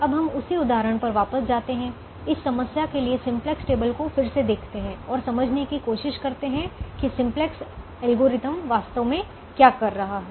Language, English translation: Hindi, now let's go back to the same example, revisit the simplex table for this problem and try to understand what the simplex algorithm is actually doing